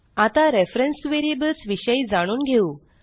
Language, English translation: Marathi, Now let us learn about reference variables